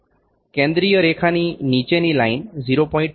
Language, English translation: Gujarati, The line below the central line is 0